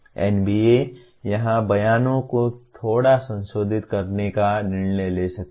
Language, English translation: Hindi, NBA may decide to slightly modify the statements here